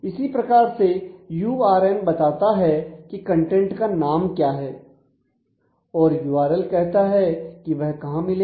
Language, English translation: Hindi, So, URN says what is the name of the content and URL says where that can be found